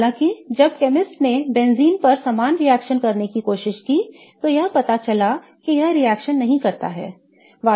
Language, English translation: Hindi, However, when chemists tried doing the same reactions on benzene, it was turned out that it doesn't react so